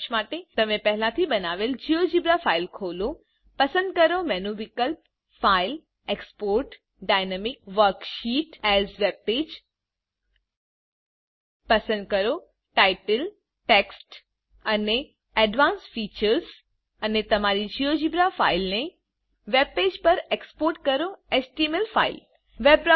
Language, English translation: Gujarati, To Summarise, Open a GeoGebra file that you have already created , select Menu option File Export Dynamic Worksheet as webpage Choose the Title, Text and Advanced features and Export your GeoGebra file as a webpage, html file View the html file using a web browser